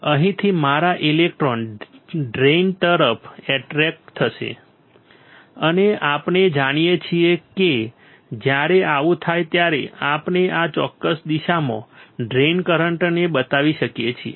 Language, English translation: Gujarati, My electrons from here will get attracted towards the drain and we know that when this happens we can show the drain current in this particular direction right